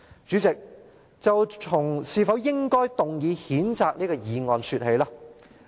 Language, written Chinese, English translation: Cantonese, 主席，就從是否應該提出這項議案說起。, President I will start by talking about whether this motion should be moved